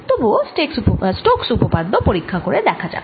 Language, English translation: Bengali, remember what did stokes theorem say